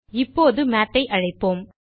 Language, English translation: Tamil, Now let us call Math